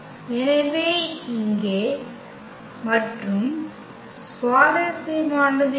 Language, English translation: Tamil, So, here and what is interesting